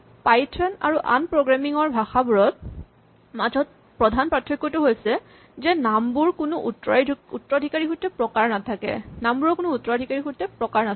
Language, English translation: Assamese, So, the main difference between python and other languages is that names themselves do not have any inherent type